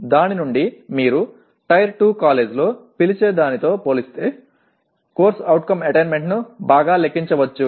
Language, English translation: Telugu, From that one can compute the CO attainment much better compared to what do you call in Tier 2 college